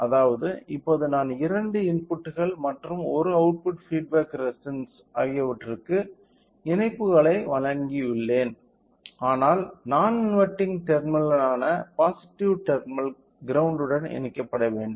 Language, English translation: Tamil, So, that means, now I have given connections for both input as well as an output feedback resistance, but the positive terminal which is the non inverting terminal should be connected to the ground